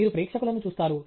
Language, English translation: Telugu, You look at the audience